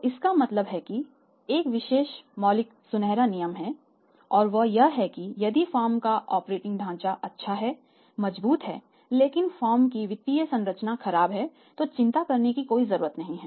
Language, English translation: Hindi, So, it means there is a special fundamental golden rule that look if the operating structure of the firm is good is strengthened and strong but the financial structure of the firm is poor there is no need to worry about